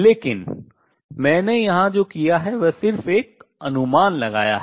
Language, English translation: Hindi, But what I have done here is just made an estimate